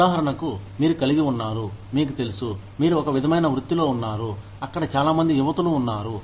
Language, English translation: Telugu, For example, you have, you know, you are in an, in some sort of a profession, where a lot of young women are there